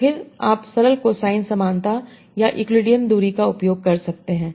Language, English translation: Hindi, So then you can use simple cosine similarity or euclidean distance